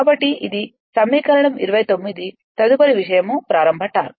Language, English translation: Telugu, So, this is equation 29 next is the starting torque at